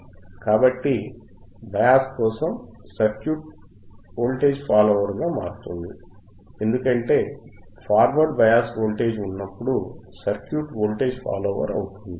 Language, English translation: Telugu, So, for bias, circuit becomes a voltage follower, because when forward bias is thatere, it will be like so circuit becomes by voltage follower,